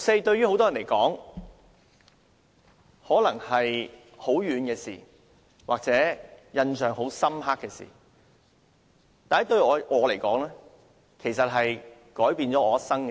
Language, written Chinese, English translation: Cantonese, 對於很多人來說，六四可能是很遙遠或印象很深刻的事，但對我來說，這是改變我一生的事。, To many people the 4 June incident may be very remote or something that left them a deep impression . But to me it has changed my entire life